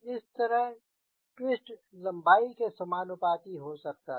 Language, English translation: Hindi, so twist could be proportional to the length